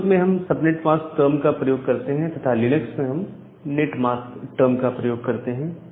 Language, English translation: Hindi, In Windows, we use the term subnet mask; and in Linux we use the term net mask